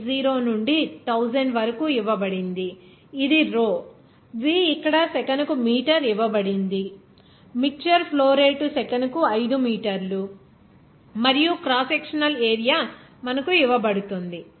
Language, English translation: Telugu, 80 into 1000, this is your rho, v is given here meter per second, it is given that mixture flow rate is 5 meter per second and crosssectional area is given to you